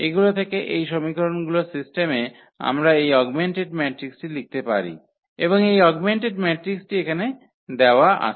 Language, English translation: Bengali, So, from those, these system of equations we can write down this augmented matrix and this augmented matrix is given here